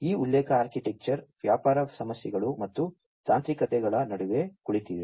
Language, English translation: Kannada, So, it is basically this reference architecture is sitting between the business issues and the technicalities